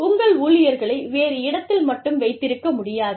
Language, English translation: Tamil, You cannot only have your staff, in that other location